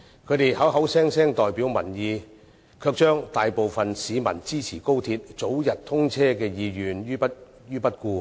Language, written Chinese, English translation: Cantonese, 他們口口聲聲代表民意，卻置大部分市民支持高鐵早日通車的意願於不顧。, While claiming to be representatives of the people they pay no heed to the call of the majority public for early commissioning of XRL